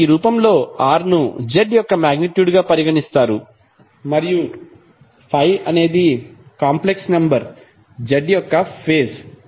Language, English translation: Telugu, So in this form r is considered to be the magnitude of z and phi is the phase of the complex number z